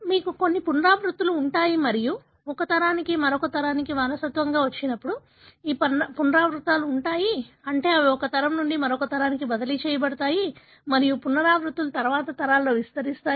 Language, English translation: Telugu, You have certain repeat and these repeats when inherited from one generation to the other, that is they are transmitted from one generation to the other, and the repeats expands in successive generations